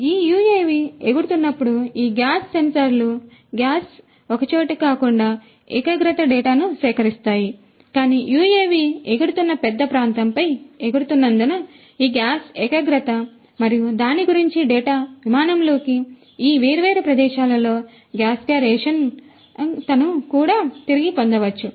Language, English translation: Telugu, And these gas sensors when this UAV flies these gas sensors will be collecting the gas concentration data not just in one place, but because it is flying over a you know over a large area over which this UAV is going to fly, this gas concentration and the data about the gas concentration in these different locations of flight could also be retrieved